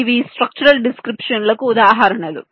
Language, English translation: Telugu, these are examples of structural descriptions